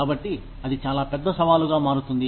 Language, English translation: Telugu, So, that becomes a very big challenge